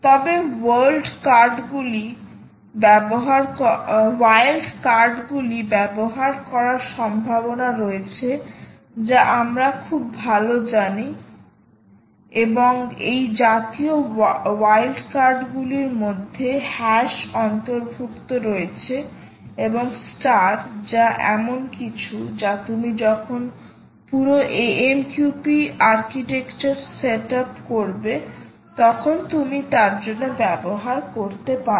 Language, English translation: Bengali, however, there are possibilities of using the wild cards that we know very well, and such wildcards include the hash and the and the star, which is something you can actually exploit for when you set up, when you set up the whole amqp architecture